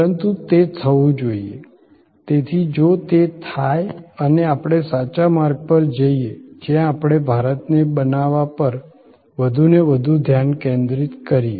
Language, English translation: Gujarati, But, even that, even if that and that should happen, so even if that happens and we go on the right path, where we focus more and more on make in India